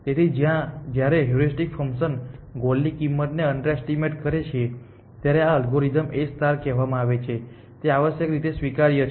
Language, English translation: Gujarati, So, under the conditions when heuristic function underestimates a cost to the goal this algorithm is called A star and it is admissible essentially